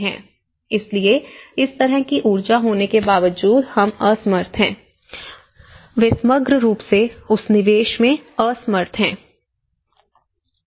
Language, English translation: Hindi, So, despite of having this kind of energy, we are unable to, they were unable to invest that in holistically